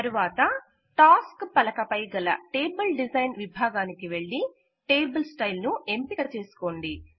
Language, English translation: Telugu, Then from the Table Design section on the Tasks pane, select a table style